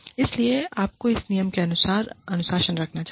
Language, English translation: Hindi, So, you must discipline, according to this rule